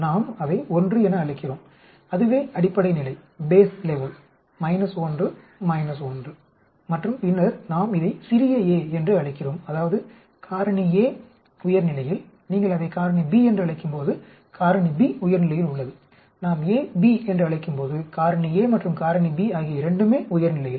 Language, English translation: Tamil, Another way of representing these 4 experiments is like this actually, we call it 1 that is the base level minus 1 minus 1 and then we call it small a, that means factor a at higher level, when you call it factor b, factor b is at higher level, when we call a b, factor a as well as factor b at higher level